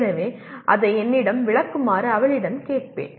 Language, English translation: Tamil, So I will ask her to explain it to me